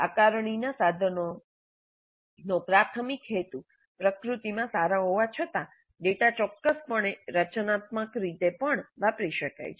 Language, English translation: Gujarati, So though the assessment instruments primary purpose is summative in nature, the data can certainly be used in a formative manner also